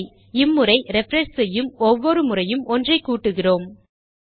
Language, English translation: Tamil, Now this time, we are adding 1 each time we refresh